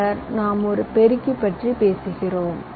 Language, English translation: Tamil, then we talk about a multiplier